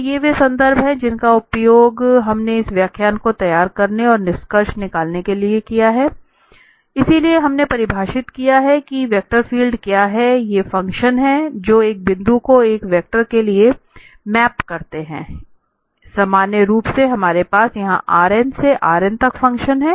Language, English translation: Hindi, So, these are the references we have used to prepare this lecture and just to conclude, so, we have defined that what are the vector fields so, these are the function that maps a point to a vector so, in general we have function here from Rn to the Rn